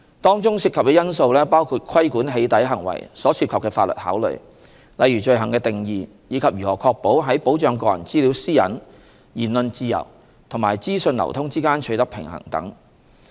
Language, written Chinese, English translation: Cantonese, 當中涉及的因素包括規管"起底"行為所涉及的法律考慮，例如罪行的定義及如何確保在保障個人資料私隱、言論自由和資訊流通之間取得平衡等。, Relevant considerations include a number of legal issues related to the regulation of doxxing - related behaviour such as how the offence should be defined and the need to strike a balance among the protection of personal data privacy freedom of expression and free flow of information